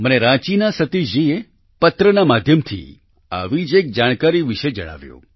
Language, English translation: Gujarati, Satish ji of Ranchi has shared another similar information to me through a letter